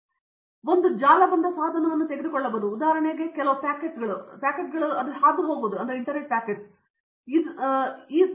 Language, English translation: Kannada, So, one which can do, today if you take a network appliance which for example take some packets and route it, it is also a computer